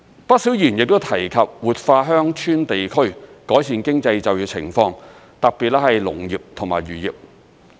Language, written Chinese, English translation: Cantonese, 不少議員亦提及活化鄉村地區，改善經濟就業情況，特別是農業和漁業。, Quite many Members mentioned revitalizing rural districts to improve the economy and employment opportunities there especially for the agricultural and fisheries industries